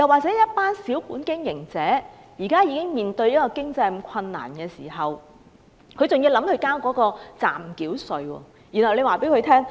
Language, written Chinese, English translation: Cantonese, 對於小本經營者，他們現時已經要面對經濟困難，還要繳交暫繳稅。, Speaking of those small capital businesses they already face financial difficulties and they even have to pay provisional tax